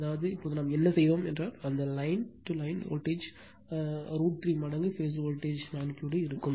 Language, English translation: Tamil, That means, so whatever we did just now so that means, that line to line voltage magnitude will be root 3 time phase voltage magnitude